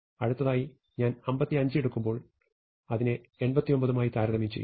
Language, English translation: Malayalam, So, when I do 55, I compare it with the 89